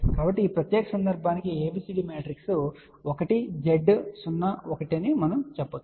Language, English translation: Telugu, So, you have to take care of that part which is inherent of ABCD matrix